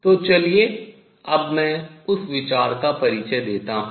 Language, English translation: Hindi, So, let me introduce that idea now